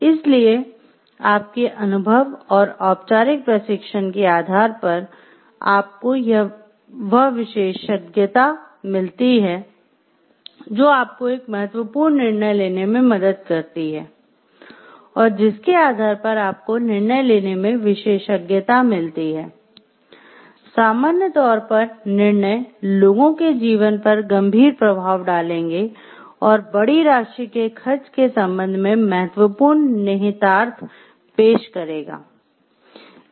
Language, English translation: Hindi, So, based on your experience and formal training you have got that expertise, which helps you to make a significant decision based on that give you an expertise to judge, in general the decisions will have serious impacts on people’s lives and will offer have important implication regarding the spending of large amount of money